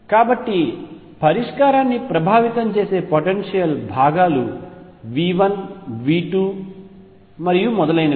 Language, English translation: Telugu, So, the potential components that affect the solution are the components V 1 V 2 and so on